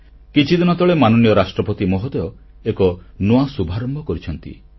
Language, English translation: Odia, A few days ago, Hon'ble President took an initiative